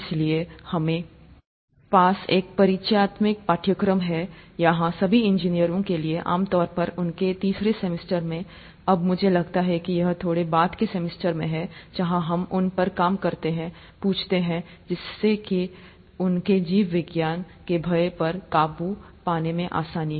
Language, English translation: Hindi, So, we have an introductory course here for all engineers, typically in their third semester, now I think it's in slightly later semesters, where we work on getting them, asking, making them getting over the fear for biology